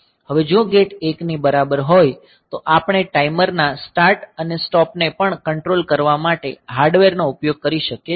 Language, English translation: Gujarati, Now if gate is equal to 1 we can use the hardware to control the start and stop of the timers as well